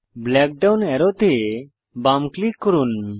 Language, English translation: Bengali, Left click the black down arrow